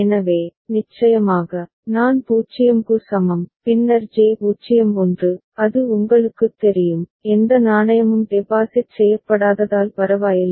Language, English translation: Tamil, So, of course, I is equal to 0, then J is 0 1, it is you know, does not matter because no coin has been deposited that is the case ok